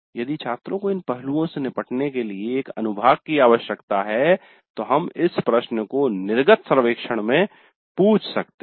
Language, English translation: Hindi, So this also if the students are required to have a section dealing with these aspects, then we can ask this question in the exit survey